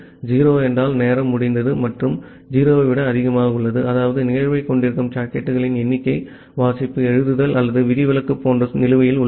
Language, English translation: Tamil, 0 means that the timeout has happened and greater than 0 means, that that the number of sockets that has the event pending like read write or exception